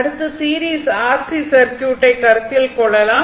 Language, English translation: Tamil, So, next we will consider that series R L C circuit